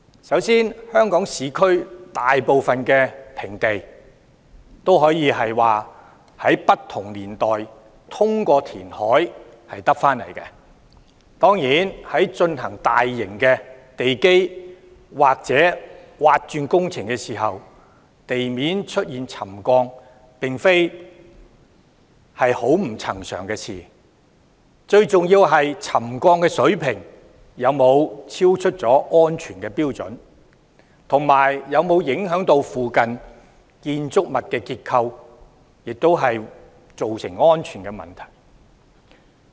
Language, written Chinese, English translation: Cantonese, 首先，香港市區大部分平地均可以說是在不同年代通過填海取得，當然，在進行大型的地基或鑽挖工程時，地面出現沉降並非很不尋常，最重要的是沉降水平有否超出安全標準，以及有否影響附近建築物的結構，造成安全問題。, First it can be said that most of the land in Hong Kongs urban areas was derived from reclamation throughout the years . It is certainly not that abnormal to see ground settlement when large - scale foundation or excavation works are in progress . The most important point is whether the settlement levels have exceeded the safety standards and whether there is impact on the structure of buildings in the vicinity which will give rise to safety concerns